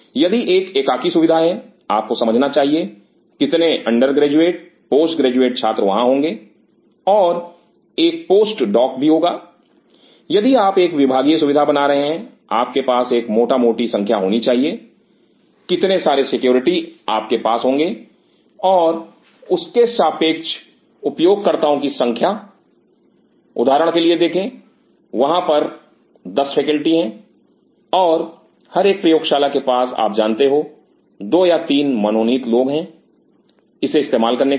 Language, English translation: Hindi, If it is a individual facility you should know how many say under graduate, post graduate students will be having or a post doc will be having if you are making it departmental facility you should have a rough number of how many faculties you will have and their corresponding numbers of users see for example, there are 10 faculties and each lab has like you know 2 or 3 designated people to use it